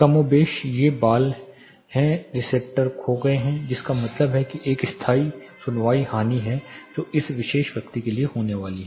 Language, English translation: Hindi, More or less these hairs are the receptors have been lost which means there is a permanent hearing loss which is going to happen for this particular person